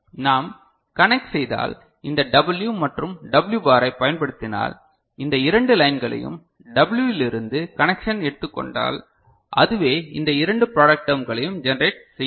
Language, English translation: Tamil, So, if we connect, if we use this W and W bar these two lines and take connection from W, so that itself will generate two of these product terms